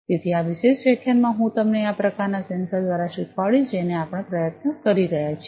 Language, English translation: Gujarati, So, in this particular lecture I am going to run you through this kind of sensor, the efforts that we are taking